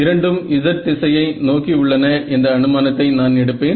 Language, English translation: Tamil, So, the assumptions I will make are both are z directed